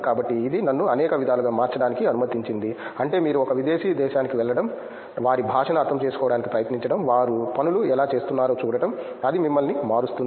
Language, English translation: Telugu, So, that allowed me to change in many ways I mean the perspective that you gain going to a foreign land, trying to understand their language, seeing how they do things, it changes you